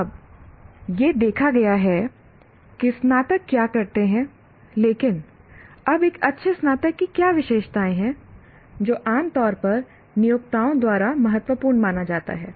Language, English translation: Hindi, But now, what are the characteristics of a good graduate generally considered important by employers